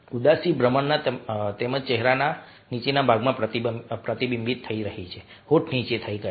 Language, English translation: Gujarati, this is sadness getting reflected in the lower part, where the lips are turned on